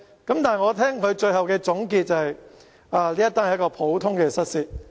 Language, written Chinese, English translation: Cantonese, 但是，我聽到他的總結，指這是一宗普通的失竊案。, Nevertheless he summarized in his conclusion that it was nothing but a common burglary case